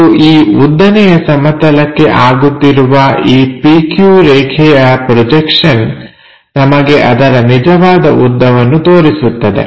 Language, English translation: Kannada, And, the projection of this PQ line onto that vertical plane gives us the true length of that object